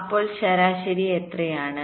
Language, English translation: Malayalam, what is the average average